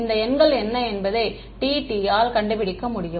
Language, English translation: Tamil, Tt can figure out which numbers are